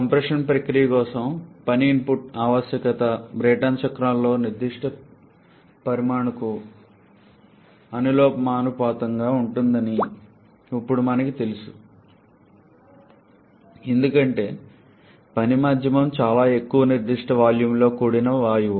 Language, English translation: Telugu, Now we know that the work input requirement for the compression process is proportional to the specific volume in the Brayton cycle, as the working medium is gas with very high specific volumes